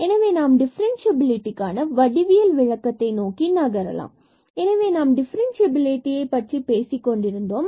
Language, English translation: Tamil, So, now we have the geometrical interpretation for the differentiability again just though we have rewritten that definition